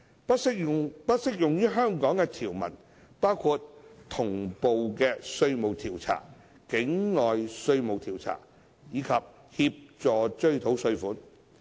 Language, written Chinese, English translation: Cantonese, 不適用於香港的條文包括同步稅務調查、境外稅務調查及協助追討稅款。, The provisions which will not apply to Hong Kong include those on simultaneous tax examinations tax examinations abroad and assistance in recovery of taxes